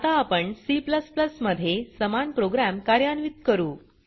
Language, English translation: Marathi, Yes,it is working Now we will execute the same program in C++